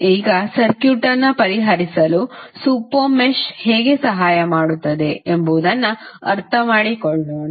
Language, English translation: Kannada, Now, let us understand how the super mesh will help in solving the circuit